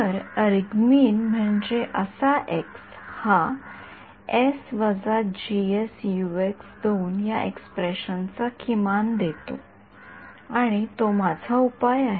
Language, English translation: Marathi, So, argmin means that x which gives the minimum of this expression s minus G S Ux and that is my solution